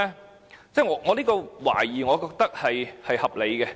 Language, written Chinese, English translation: Cantonese, 我認為我的懷疑是合理的。, I think there are grounds for being suspicious